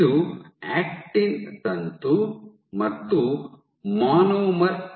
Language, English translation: Kannada, So, this is an actin filament and a monomer